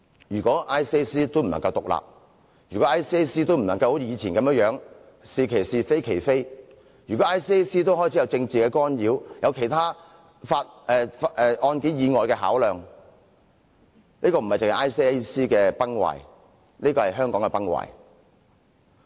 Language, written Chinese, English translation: Cantonese, 如果 ICAC 也不能獨立，如果 ICAC 也不能好像以前一樣是其是，非其非，如果 ICAC 也開始受到政治干擾、有案件以外的其他考量，這不單是 ICAC 的崩壞，而是香港的崩壞。, If ICAC cannot operate independently if it cannot say what is right as right and what is wrong as wrong and if it also starts to be subject to political interference such that it has to consider other factors in case investigation this is not only the collapse of ICAC but the collapse of Hong Kong